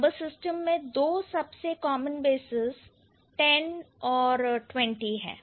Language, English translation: Hindi, Twenty, the two most common basis in numeral system is 10 and 20